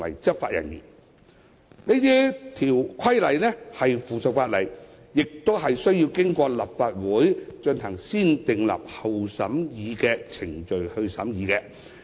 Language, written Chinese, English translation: Cantonese, 這些規例是附屬法例，須經過立法會進行"先訂立後審議"的程序。, Such regulation will be subsidiary legislation subject to the scrutiny of Legislative Council under the negative vetting procedure